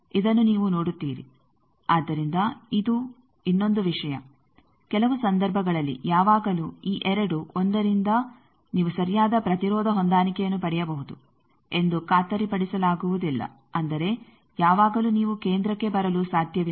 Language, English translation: Kannada, So, this is another thing at in certain cases you cannot always it is not guaranteed that by this 2, 1 you can get a proper impedance matching that means, always you will be able to come to centre that is not